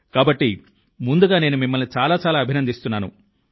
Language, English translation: Telugu, So first of all I congratulate you heartily